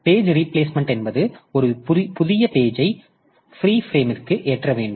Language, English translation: Tamil, So, page replacement means when we want to load a new page into a free frame